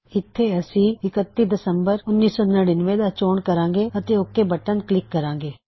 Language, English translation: Punjabi, Here we will choose 31 Dec, 1999 and click on OK